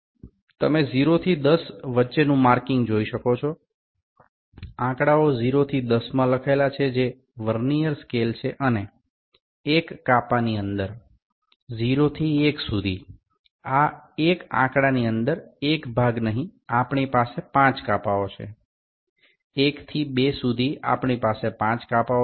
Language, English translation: Gujarati, You can see the markings from 0 to 10, the numbers are written from 0 to 10 which is a Vernier scale and within 1 within this 1 division, not 1 division within this 1 number from 0 to 1, we have 5 divisions; from 1 to 2 we will have 5 divisions